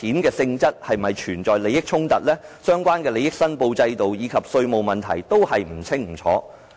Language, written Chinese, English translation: Cantonese, 該筆款項是否涉及利益衝突、相關的利益申報制度，以及稅務問題都不清不楚。, We are not certain whether this amount of money involves a conflict of interest; the relevant system for declaration of interest and the taxation issues are also unclear